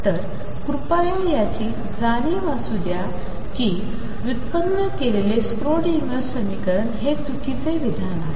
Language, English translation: Marathi, So, please be aware of that lot of people say derived Schrödinger equation that is a wrong statement to make